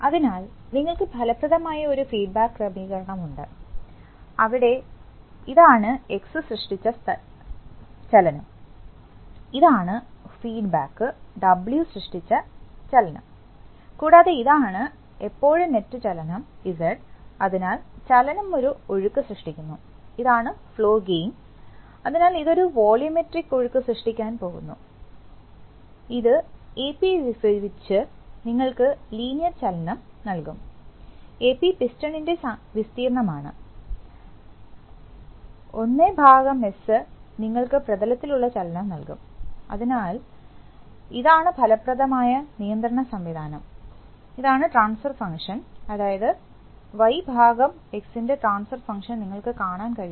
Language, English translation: Malayalam, So you have, you have an effective feedback arrangement, where, what is coming, this is the motion created by the motion X, this is the motion created by the feedback W, and this is the net motion Z at any point of time, and that is going to create, so motion creates a flow and this is the flow gain, so that is going to create a volumetric metric flow, that divided Ap, will give you the linear motion Ap is the area of the piston, that integrated, 1 by S will give you the motion of the plane, so this is the control system that is effective and here is the transfer function, so the transfer function between, you can see that now that the transformation between Y by X is actually, in the, in the steady state ‘s’ is going to, go to 0, so it is going to be a+b/a, and it will act like a first order transfer function